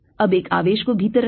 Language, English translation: Hindi, now put a charge inside